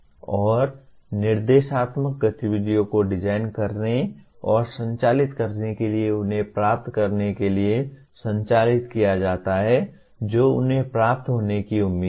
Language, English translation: Hindi, And instructional activities are designed and conducted to facilitate them to acquire what they are expected to achieve